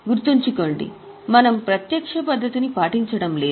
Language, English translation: Telugu, Keep in mind we do not follow a direct method